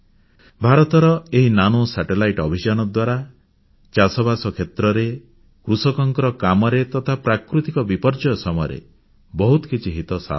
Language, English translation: Odia, And with India's Nano Satellite Mission, we will get a lot of help in the field of agriculture, farming, and dealing with natural disasters